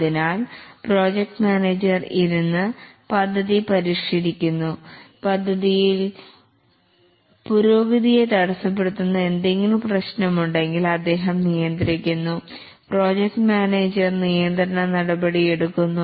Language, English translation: Malayalam, So the project's manager sits down, revises the plan, controls if there is a problem in the project which is hampering the progress, the project manager takes controlling action